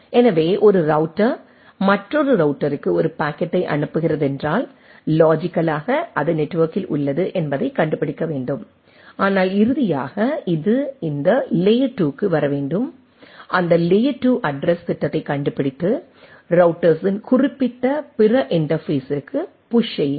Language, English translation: Tamil, So, just to again remind you that if a router is sending a packet to another router right, the logically it is in the network they can it has to find out, but nevertheless finally, it has to come to this layer 2, find out that layer two addressing scheme and go push to that particular other interface of the router